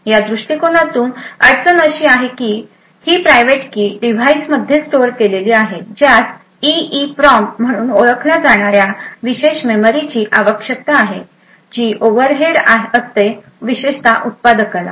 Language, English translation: Marathi, The problem with this approach is that this private key is stored in the device requires special memory known as EEPROM, which is considerably overhead especially to manufacturer